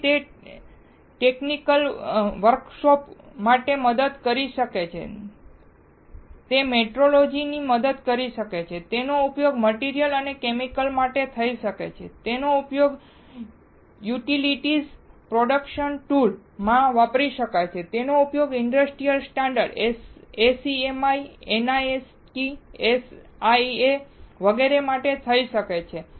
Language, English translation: Gujarati, So, it can help for technical work force, it can help for metrology tools, it can be used for materials and chemicals, it can be used in a utilities production tools, it can be used for industry standards, SEMI, NIST, SIA etcetera